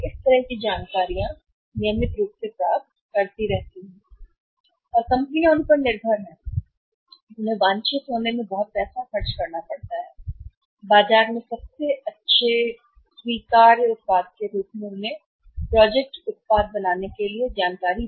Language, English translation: Hindi, And companies depend upon them and they had to spend lot of money in say getting that desired information for making their project product as the best acceptable product in the market